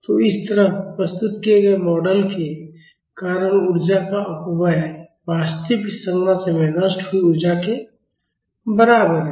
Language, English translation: Hindi, So, the energy dissipation due to the model represented like this is equivalent to the energy dissipated in the actual structure